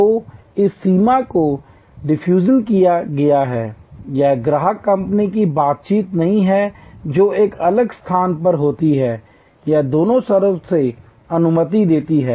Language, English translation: Hindi, So, this boundary is defused, it is customer company interaction no longer that takes place in a distinct space, it permits on both sides